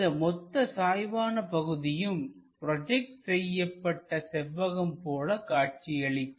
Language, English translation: Tamil, This entire incline portion, we are about to see it something like a projected rectangle